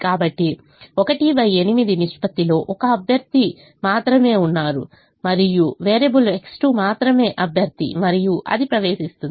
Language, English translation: Telugu, so there is only one candidate with the ratio one by eight, and variable x two is the only candidate and that will enter